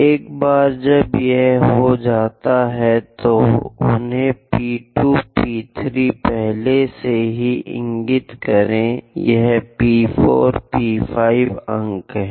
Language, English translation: Hindi, Once it is done, label them P 2, P 3 is already there, this is P 4, P 5 points